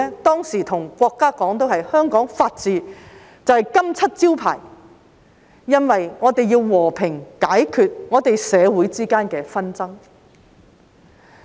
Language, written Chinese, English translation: Cantonese, 當時我們對國家說，香港法治就是金漆招牌，因為我們要和平解決我們社會之間的紛爭。, At that time we told the State that the rule of law was the very crown jewel of Hong Kong because we wanted peaceful solutions to disputes in our society